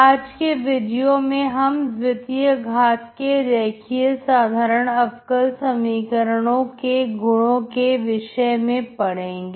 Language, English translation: Hindi, We will study today the properties of the second order linear ordinary differential equations